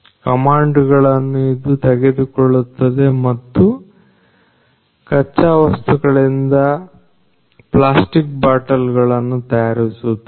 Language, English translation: Kannada, It takes the commands and then comes from the raw materials into plastic bottles